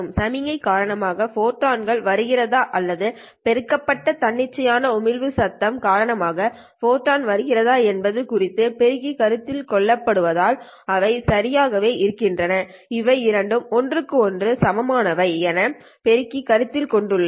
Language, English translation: Tamil, Well, as far as the amplifier is concerned, whether the photons are coming because of the signal or whether the photons are coming because of the amplified spontaneous emission noise, they are exactly the same